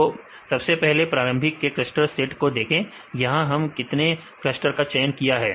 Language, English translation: Hindi, First see the initial set of clusters k centers right how many clusters we use choose here